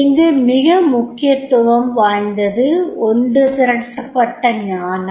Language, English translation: Tamil, Here it is very very important that is collective wisdom